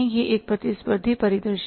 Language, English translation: Hindi, It is a competitive scenario